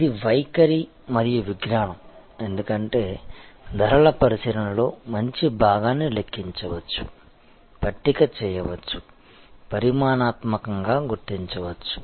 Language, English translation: Telugu, It is art and science, because a good part of the pricing consideration can be calculated, tabulated, figured out quantitatively